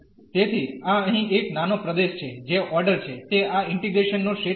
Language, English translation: Gujarati, So, this is small region here that is the order of that is the region of this integration